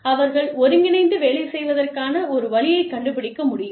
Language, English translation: Tamil, They could find a way, of getting together, and working